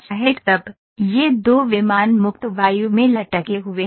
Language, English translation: Hindi, Now, these 2 planes are hanging in free air